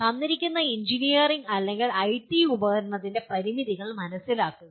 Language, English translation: Malayalam, Understand the limitations of a given engineering or IT tool